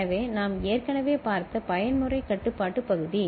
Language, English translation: Tamil, So, the mode control part we have already seen